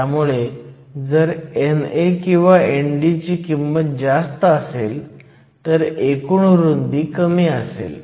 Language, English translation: Marathi, So, if you have a higher value of NA or ND then the total width will be lower